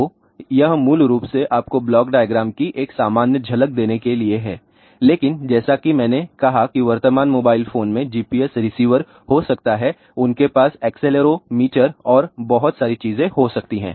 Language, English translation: Hindi, So, this is basically just to give you a general glimpse of the block diagram , but as I said the current mobile phones may have a GPS receiver, they may have accelerometer and so, many things, ok